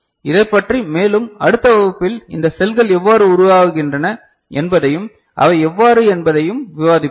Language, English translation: Tamil, More about this we shall discuss in the next class how these cells are formed and all how they are you know